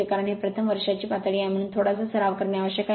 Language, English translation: Marathi, Because it is a first year level, so little bit little bit practice is necessary right